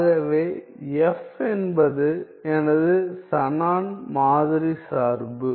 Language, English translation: Tamil, So, f is my Shannon sampling function